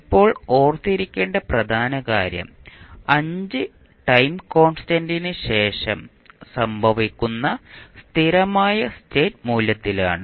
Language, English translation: Malayalam, Now, the important thing which we have to remember is that at steady state value that typically occurs after 5 time constants